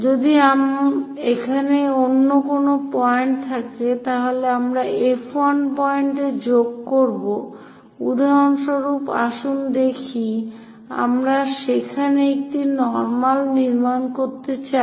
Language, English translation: Bengali, If some other point here then we will join F 1 point, for example, let us look at we would like to construct a normal there